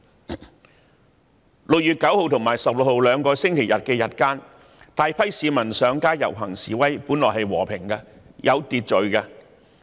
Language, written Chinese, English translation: Cantonese, 在6月9日和16日兩個星期日日間，大批市民上街遊行示威，看來是和平及有秩序的。, Apparently the protest processions during the day time of the two Sundays of 9 June and 16 June participated by huge numbers of citizens were peaceful and orderly